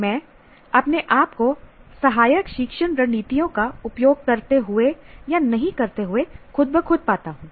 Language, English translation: Hindi, I find myself using not using helpful learning strategies automatically